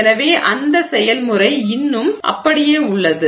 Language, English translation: Tamil, So that process is still the same